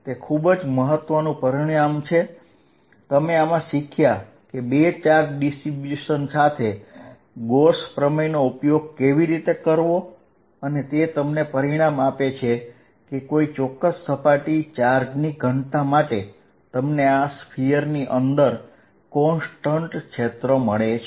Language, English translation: Gujarati, That is a very important result, you also learnt in this how to use Gauss theorem with two charge distributions and it gives you a result that for a particular surface charge density you get a constant field inside this is sphere